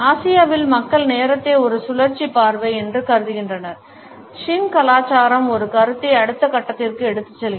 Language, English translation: Tamil, In Asia the people view the perception of time as a cyclical vision, shin culture takes a concept to a next step